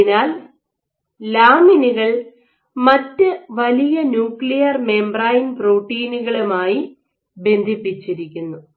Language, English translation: Malayalam, So, lamins they bind to large other nuclear membrane proteins ok